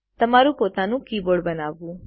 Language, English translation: Gujarati, Create your own keyboard